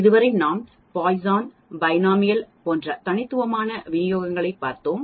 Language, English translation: Tamil, So far we have looked at discrete distributions like Poisson, Binomial